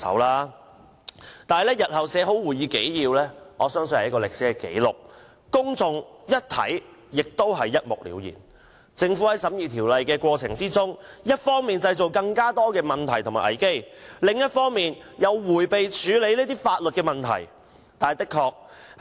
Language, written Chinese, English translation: Cantonese, 可是，日後當會議紀要備妥後，我相信它是一份歷史紀錄，讓公眾一目了然，得知政府在審議《條例草案》的過程中，一方面製造更多問題和危機，另一方面又迴避處理法律問題。, When the minutes are ready I believe they will serve as historical records which allow the public to see at a glance how the Government had created more problems and crises during the deliberation process of the Bill and how it had evaded handling legal issues